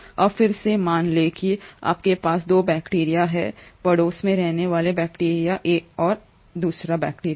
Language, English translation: Hindi, Now assume again that you have 2 bacteria living in neighbourhood, bacteria 1 and bacteria 2